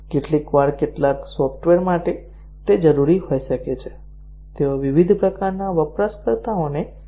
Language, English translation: Gujarati, Sometimes for some software, it may be required that they support various types of users